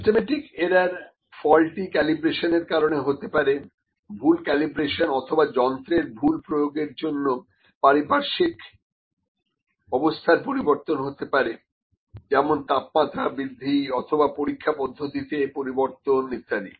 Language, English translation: Bengali, Systematic error might be due to the faulty calibration, the incorrect calibration or incorrect use of instrument change in condition for instance temperature rise may be the change of experiment and all those things